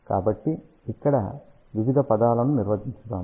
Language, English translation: Telugu, So, let us define various terms over here